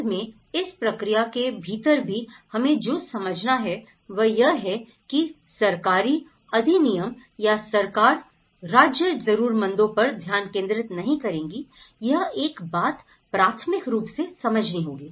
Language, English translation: Hindi, At the end, what we have to understand is even within this process, the government act or the government will is not the state will is not focusing on the needy, that is one thing would have to primarily understand